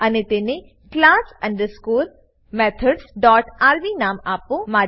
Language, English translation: Gujarati, And name it class underscore methods dot rb